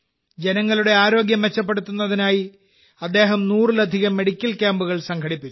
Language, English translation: Malayalam, To improve the health of the people, he has organized more than 100 medical camps